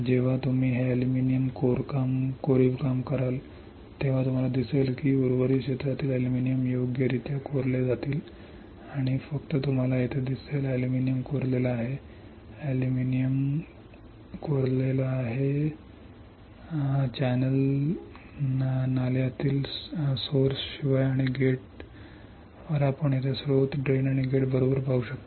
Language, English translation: Marathi, When you do that aluminium etchant then you will see that the aluminium from rest of the area will get etched right and only you see here; aluminium is etched, aluminium is etched, aluminium is etched, aluminium is etched except at the source at the drain and at the gate you can see here source drain and gate correct